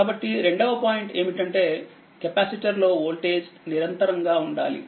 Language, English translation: Telugu, So, so second point is the voltage on the capacitor must be continuous right; it must be continuous